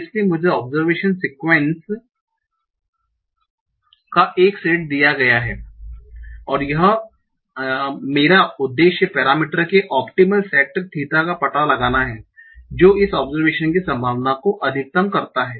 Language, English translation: Hindi, So I am given a set of observation sequences and my aim is to find out the optimal set of parameters theta that maximize the probability of this observation